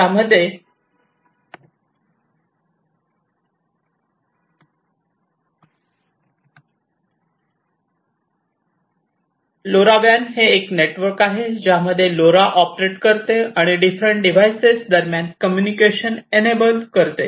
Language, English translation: Marathi, And LoRa WAN is a network in which LoRa operates and enables communication between different devices